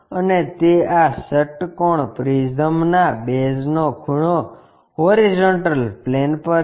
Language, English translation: Gujarati, And corner of this hexagonal prism of that base is on HP